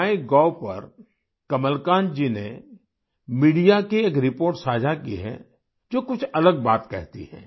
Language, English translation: Hindi, On MyGov app, Kamalakant ji has shared a media report which states something different